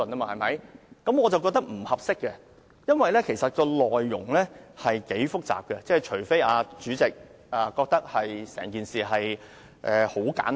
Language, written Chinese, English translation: Cantonese, 我覺得這做法並不合宜，因為《條例草案》內容頗為複雜，除非主席認為整件事很簡單。, I consider this approach inappropriate because the content of the Bill is rather complicated unless the President regards the whole matter as very simple